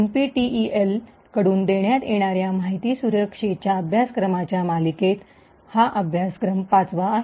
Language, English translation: Marathi, This course is a fifth, in the series of courses on information security that is offered by NPTEL